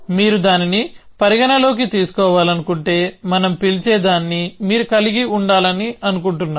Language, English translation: Telugu, If you want to take that into account, then you want to have what we call is